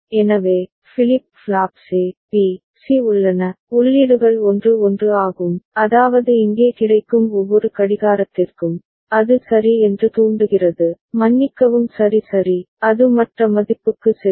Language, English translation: Tamil, So, the flip flops A, B, C are there, the inputs are 1 1 that means, for every clocking available here, it will trigger ok, it will sorry toggle ok, it will go to the other value